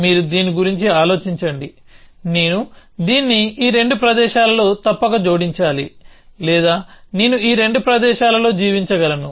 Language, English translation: Telugu, You just think about this that either I must add it in both these places or I can live it out of both these places